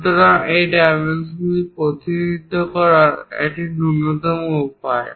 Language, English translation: Bengali, So, this is the minimalistic way of representing this dimension